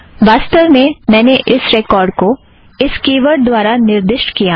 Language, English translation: Hindi, As a matter of fact, I have referred to this record through this key word